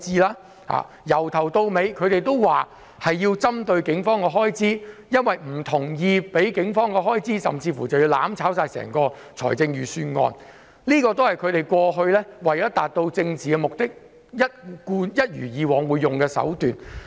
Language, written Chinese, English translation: Cantonese, 他們由始至終也表示要針對警方的開支，甚至為了不給予警方任何開支而試圖"攬炒"整份預算案，這亦是他們為了達到政治目的而採用的慣常手法。, They have been saying all along that they will target the expenditure of the Police . In order not to give the Police any funding to meet their expenditure they even attempt to burn together with the whole Budget . This is their old trick to achieve political objectives